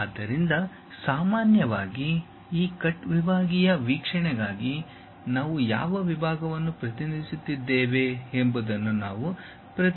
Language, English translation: Kannada, So, usually we represent which section we are representing for this cut sectional view